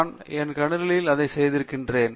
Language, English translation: Tamil, I have done that on my computer